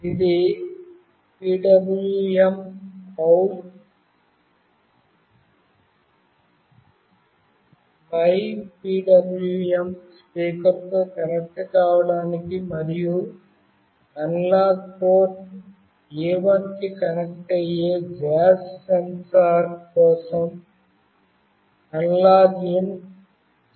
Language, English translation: Telugu, This is PWMOut mypwm is for connecting with the speaker and AnalogIn G is for the gas sensor connecting to analog port A1